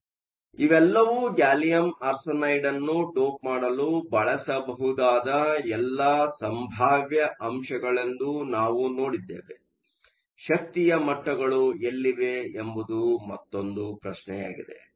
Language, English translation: Kannada, So, we saw that these are all the possible elements that can be used to dope gallium arsenide, the only other question is where are the energy levels located